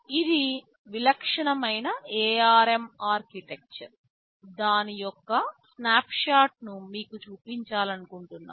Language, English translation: Telugu, TSo, this is the typical ARM typical architecture, I just wanted to show you just a snapshot of it